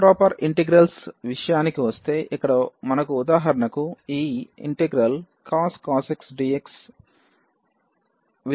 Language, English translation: Telugu, Coming to the improper integrals: so, here we have for example, this 0 to infinity cos x dx